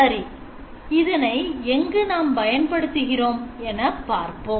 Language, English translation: Tamil, So where does this actually get applied